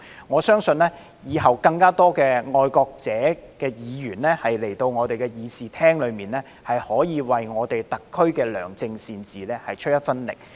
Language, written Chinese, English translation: Cantonese, 我相信往後會有更多愛國者的議員來到立法會議事廳，為特區的良政善治出一分力。, I believe more patriotic Members will come to this Chamber of the Legislative Council in the future to contribute to the good governance of SAR